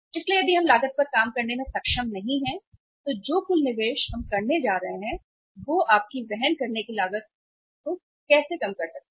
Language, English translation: Hindi, So if we are not able to work out the cost, total investment we are going to make how can you think of working out the carrying cost